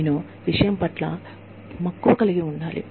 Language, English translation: Telugu, I have to be passionate, about the subject